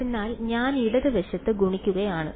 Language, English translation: Malayalam, So, I am multiplying on the left hand side ok